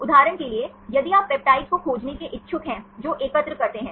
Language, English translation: Hindi, For example, if you are interested to find the peptides which aggregate right